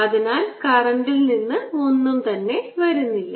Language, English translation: Malayalam, so there is no current, so there's nothing coming out of current